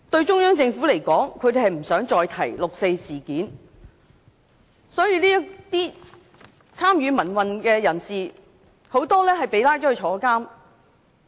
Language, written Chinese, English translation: Cantonese, 中央政府不想再提及六四事件，很多參與民運的人士都被捕入獄。, The Central Government does not want to mention the 4 June incident and many who have participated in the pro - democracy movement have been arrested and imprisoned